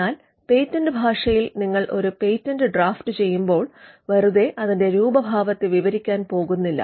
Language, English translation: Malayalam, But in patent parlance when you draft a patent, you are not going to merely describe it is appearance